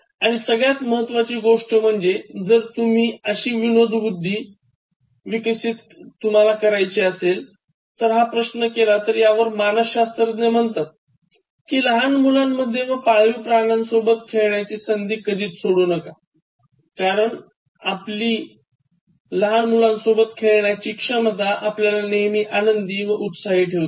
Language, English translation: Marathi, And, the most important thing, if you ask like, how you can develop this sense of humour, one way, psychologists say is that, you should never stop playing with children and opportunity to play with pet animals, because your ability to play with children will always keep you cheerful and then you have to go to their level to make them laugh okay